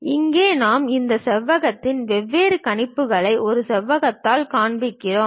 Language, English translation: Tamil, Here we are showing different projections of this rectangle by a rectangular (Refer Time: 25:51)